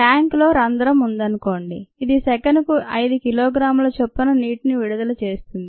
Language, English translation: Telugu, suppose there is a hole in the tanker which oozes water at the rate of five kilogram per second